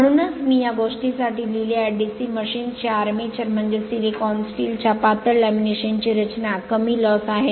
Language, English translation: Marathi, So, just I have written for this thing the armature of DC machines is build up of thin lamination of low loss silicon steel